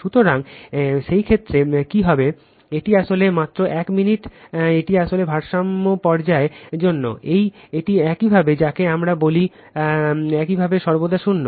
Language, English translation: Bengali, So, in that case what will happen, this one actually just one minute this one actually for balance phase it is your what we call it is your always 0